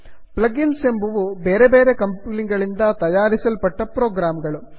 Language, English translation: Kannada, plug ins are program created by other companies